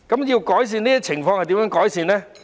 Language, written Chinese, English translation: Cantonese, 要改善這些情況，可以怎樣做？, What can be done to improve the situation?